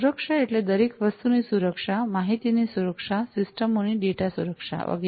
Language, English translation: Gujarati, So, security in terms of everything, security of information, security of data security of the systems and so on